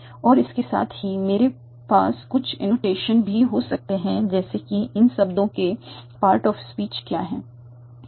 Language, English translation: Hindi, And with that I might also have some annotations, like what is the part of speech category of these words